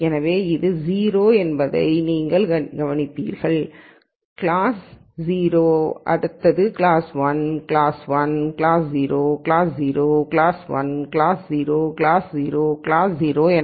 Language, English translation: Tamil, So, you will notice that this is 0 class 0, class 1, class 1, class 0, class 0, class 1, class 0, class 0, class 0